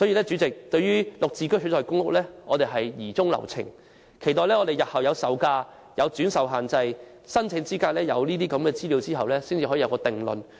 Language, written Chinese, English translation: Cantonese, 主席，對於以"綠置居"取代公屋的建議，我們疑中留情。我們要待有關方面提供售價、轉售限制及申請資格等資料後，才能作出定論。, President we have doubts about the proposal of replacing PRH flats by GSH flats so we cannot draw any conclusion until information about the sale prices resale restrictions and eligibility criteria is provided by the relevant authorities